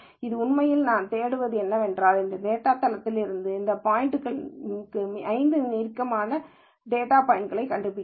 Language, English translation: Tamil, So, really what I am looking for, is finding 5 closest data points from this data base to this data point